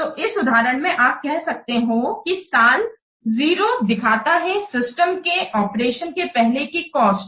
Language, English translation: Hindi, So, in this example, you can see that the year zero represents the cost before the system is operation